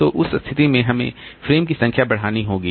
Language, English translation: Hindi, So that way we can reduce the number of frames